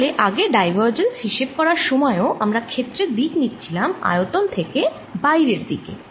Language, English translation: Bengali, so, ah, earlier also, when we were calculating divergence, we were taking area direction to be coming out of the volume